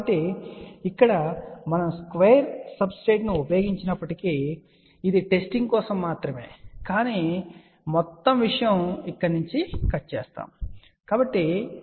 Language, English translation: Telugu, So, this 1 here even though we have used a square substrate, this is just for the testing, but ultimately the whole thing will be actually speaking cut from over here ok